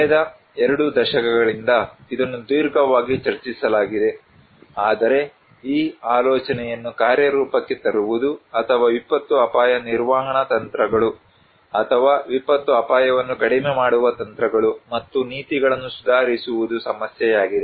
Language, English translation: Kannada, For last two decades, it has been discussed at a length, but the problem is to put this idea into practice or to improve disaster risk management strategies or disaster risk reduction strategies and policies